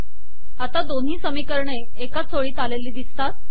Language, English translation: Marathi, Now what has happened is that both the equations have come on the same line